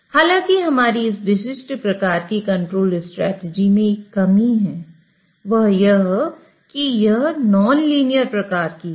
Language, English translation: Hindi, However, it suffers from a drawback that this particular control strategy is sort of non linear